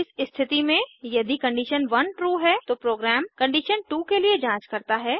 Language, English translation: Hindi, In this case, if condition 1 is true, then the program checks for condition 2